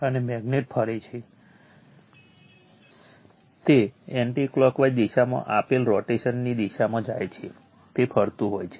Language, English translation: Gujarati, And magnet is rotating, it goes direction of the rotation given anti clockwise direction, it is rotating